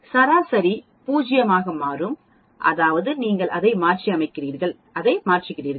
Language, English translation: Tamil, What will happen the mean will become 0 that means you are sort of transforming it and you are shifting it